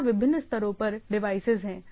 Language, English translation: Hindi, So, there are devices at different level